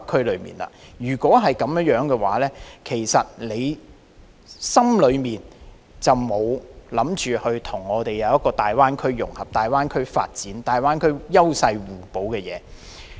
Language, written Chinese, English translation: Cantonese, 若非如此，你心裏其實便是沒有打算跟大灣區融合，沒有考慮大灣區的發展、大灣區各城市間的優勢互補。, Otherwise you actually have no intention to integrate with the Greater Bay Area and give no thought to the development of the Greater Bay Area and the complementarity among various cities in the Greater Bay Area